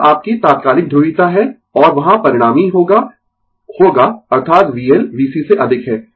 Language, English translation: Hindi, So, this is your instantaneous polarity, and there will be resultant will be that is V L greater than V C